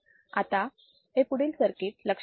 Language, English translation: Marathi, So, now let us see this particular circuit